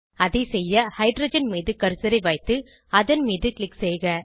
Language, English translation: Tamil, To do so, we will place the cursor on the hydrogen and click on it